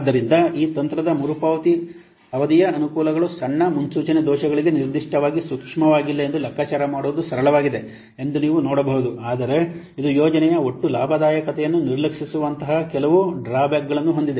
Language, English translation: Kannada, So you can see that the advantages of this technique payback payback is that that it is simple to calculate, no, not particularly sensitive to small forecasting errors, but it has some drawbacks like it ignores the overall profitability of the project